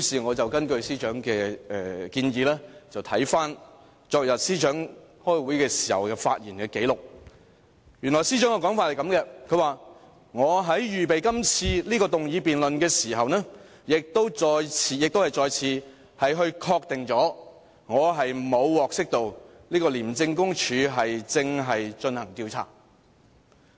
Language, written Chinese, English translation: Cantonese, 我根據司長的建議，看看昨日司長開會時的發言紀錄，原來司長的說法是這樣的："我在預備這次議案辯論的時候，亦再次確定了我沒有獲悉廉署正進行這項調查。, Then I took her advice and read the transcript of her speech in the meeting yesterday . This was what she said When I was preparing for this motion debate I also made an effort to reconfirm that I had never been informed that ICAC was conducting an investigation